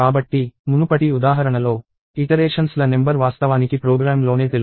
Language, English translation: Telugu, So, in the previous example, the number of iterations was actually known in the program itself